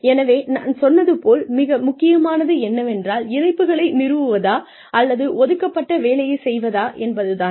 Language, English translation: Tamil, So, what is more important, like I just told you, is it to establish connections, or is it to, do the work that has been assigned